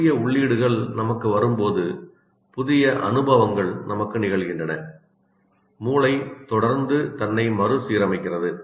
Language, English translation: Tamil, As new inputs come to us, new experiences happen to us, the brain continuously reorganizes itself